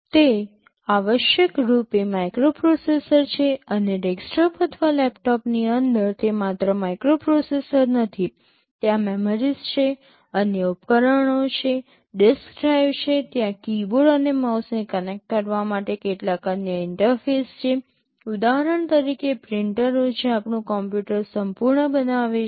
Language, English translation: Gujarati, They are essentially microprocessors and inside a desktop or a laptop it is not only the microprocessors, there are memories, there are other devices, there is a disk drive there are some other interfaces to connect keyboard and mouse for example, printers that makes our entire computer